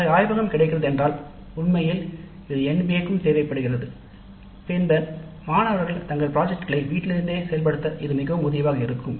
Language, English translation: Tamil, If such a project laboratory is available as in fact is required by the NBA also, then the students would find it much more helpful to implement their projects in house